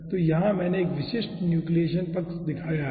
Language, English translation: Hindi, so here i have shown a typical nucleation side